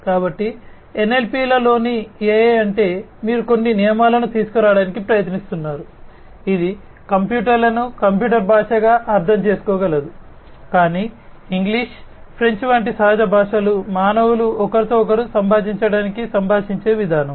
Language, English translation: Telugu, So, AI in NLP means what that you are trying to come up with some rules, etcetera, which can make the computer understand not the computers language, but the way the natural languages like English, French, etcetera with which with which humans are conversant to communicate with one another